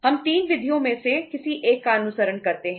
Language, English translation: Hindi, We can follow either of the 3 methods